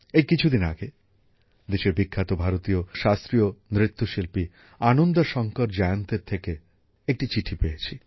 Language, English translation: Bengali, Recently I received a letter from the country's famous Indian classical dancer Ananda Shankar Jayant